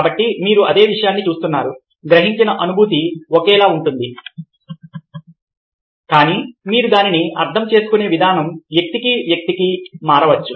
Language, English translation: Telugu, so you are looking at the same thing, the sensation is being perceived are the same, but the way you interpret it may vary person to person